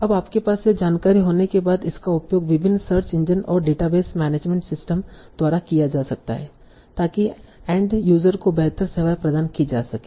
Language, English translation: Hindi, So now once you have this information, it can be used by various search engines and database management systems to provide better services to the end users